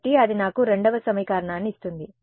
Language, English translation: Telugu, So, that gives me the second equation